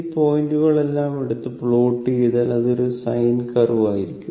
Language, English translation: Malayalam, And if you take all these point and join it and plot it, it will be a sin curve, right